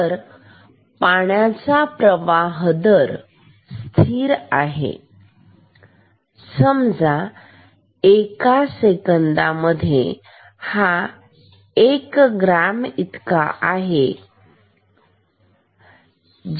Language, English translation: Marathi, So, water flow rate is constant and say this is equal to m gram per second